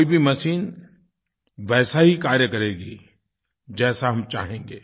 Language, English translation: Hindi, Any machine will work the way we want it to